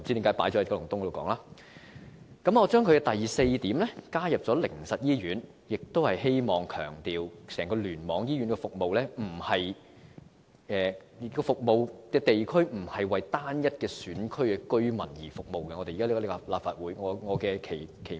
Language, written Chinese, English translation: Cantonese, 我在第四點加入了靈實醫院，旨在強調整個醫院聯網的服務地區並非為單一選區的居民服務，而這亦是我加入立法會的期望。, I have added the Haven of Hope Hospital to item 4 seeking to stress that in the catchment districts covered by various hospital clusters services are not provided to residents in a single constituency only and this also bears out my expectations of joining the Legislative Council